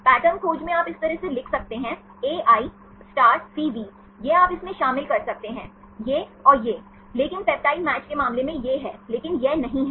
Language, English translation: Hindi, In the pattern search you can write in this way, AI*CV, this you can include, this and this, but in the case of peptide match this is, but this is not